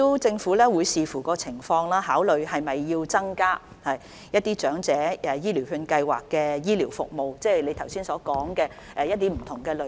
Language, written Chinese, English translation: Cantonese, 政府會視乎情況，考慮是否有需要增加長者醫療券計劃下的醫療服務，即李議員剛才提及的不同類別。, The Government will depending on the situation consider whether there is a need to provide additional health care services under the Scheme that is to include the different categories of health care professions mentioned by Prof LEE just now